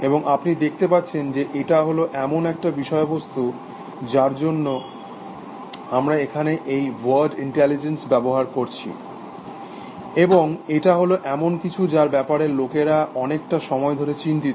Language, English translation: Bengali, And you can see that, is a topic, because we use this word intelligence here, and that is something which has concerned people over a lot of time essentially